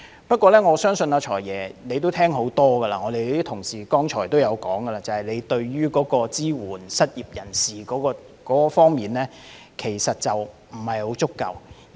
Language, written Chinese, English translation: Cantonese, 不過，我相信"財爺"聽了很多遍，而同事剛才也提到，就是預算案在支援失業人士方面仍有不足。, Nevertheless I believe FS has heard many times and Honourable colleagues have just mentioned that the Budget has not given enough support to the unemployed